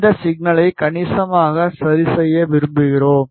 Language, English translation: Tamil, We have we want to remove this signal substantially ok